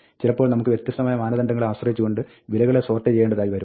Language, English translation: Malayalam, Sometimes, we need to sort values based on different criteria